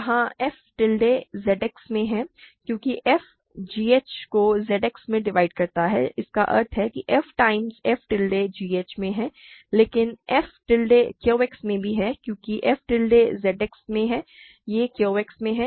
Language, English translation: Hindi, This is not mysterious right what we know is that f times some f tilde is g h where f tilde is in Z X because f divides g h in Z X means f times f tilde is in g h, but f tilde is also in Q X because f tilde is in Z X it is in Q X